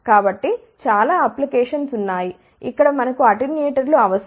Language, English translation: Telugu, So, there are many applications, where we need attenuators